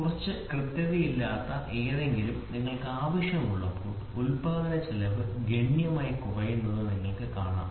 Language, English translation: Malayalam, When you want something little less accurate, so then you can see the cost of the production falls down drastically